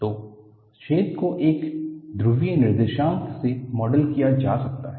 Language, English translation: Hindi, So, the hole can be modeled from a polar coordinate